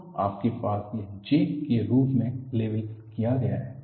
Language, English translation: Hindi, So, you had this as, labeled as J